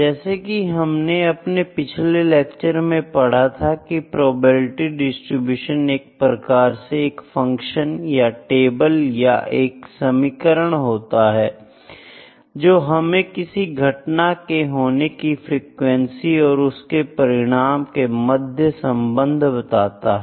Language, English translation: Hindi, Probability distributions as I said in the previous lectures is a function or a table or it can be an equation that shows the relationship between the outcome of an event and its frequency of occurrence